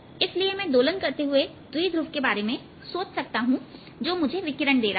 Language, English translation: Hindi, so i can even think of this as an oscillating dipole which is giving out radiation